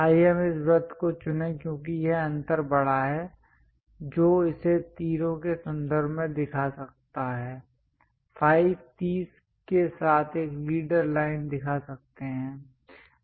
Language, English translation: Hindi, Let us pick this circle because this gap is large one can really show it in terms of arrow, a leader line with phi 30